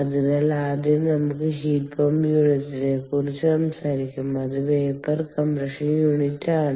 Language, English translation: Malayalam, so first let us talk about just the heat pump unit, which is the vapour compression unit